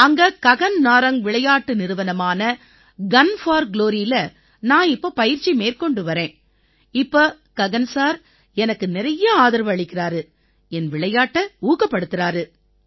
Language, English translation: Tamil, So there's Gagan Narang Sports Foundation, Gun for Glory… I am training under it now… Gagan sir has supported me a lot and encouraged me for my game